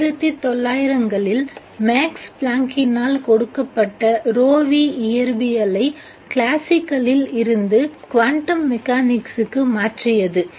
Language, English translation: Tamil, Rho V was given by Max Planck in 1900 which changed the physics from classical to quantum mechanics